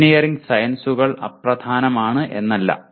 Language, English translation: Malayalam, It is not that engineering sciences are unimportant